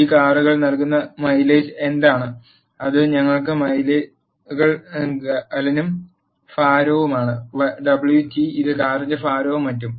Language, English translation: Malayalam, What is the mileage that this cars gives; that is miles per us gallon and weight w t, which is weight of the car and so on